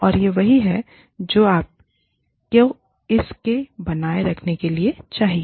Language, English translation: Hindi, And, this is what you need to, in order to keep this, right